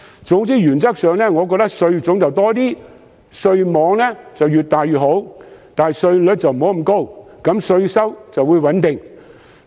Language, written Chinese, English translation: Cantonese, 總之原則上，我認為稅種應該增加，稅網亦越大越好，但稅率不應太高，稅收便可以穩定。, To conclude I would say that in principle the tax regime should be reformed by increasing tax types extending the tax net as far as possible and maintaining a relatively low tax rate to give the Government stable tax revenues